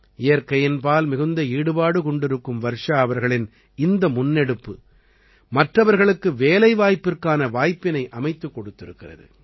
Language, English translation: Tamil, This initiative of Varshaji, who is very fond of nature, has also brought employment opportunities for other people